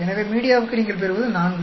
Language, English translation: Tamil, So for the media you get 4